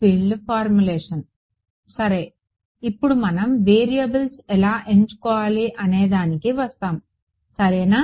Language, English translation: Telugu, Right so; now we will come to how do you choose variables ok